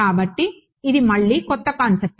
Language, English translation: Telugu, So, again this is a new concept